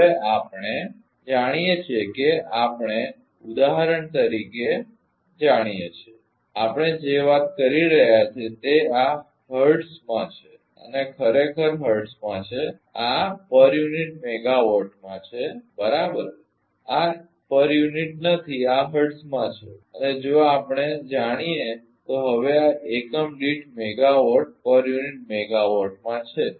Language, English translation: Gujarati, Now, we know we know for example, everything we are talk this is in hertz this is this is actually in hertz and this is in per unit megawatt right this is not in per unit this is in hertz and this is in per unit megawatt now if we know